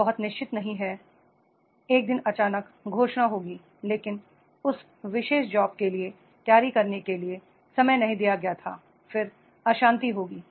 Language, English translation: Hindi, They are not very sure the one day certain announcement will be there, but for that particular job the time was not given to prepare, then there will be the turbulence